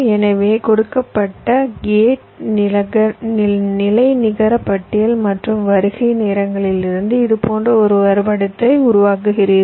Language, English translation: Tamil, so from the given gate level net list and the arrival times, you create a graph like this